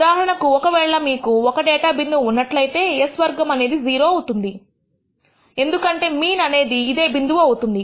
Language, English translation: Telugu, For example, if you have one data point, s squared will turn out to be 0 because the mean will be equal to the point